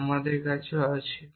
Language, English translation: Bengali, So, what do we have